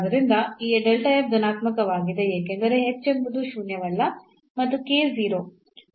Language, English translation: Kannada, So, k to 0 means this is 0 and h is non zero